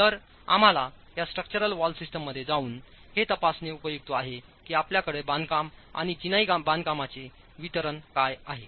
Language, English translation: Marathi, So it is useful for us to go and examine within the structural wall systems what distribution do you have as far as masonry constructions are concerned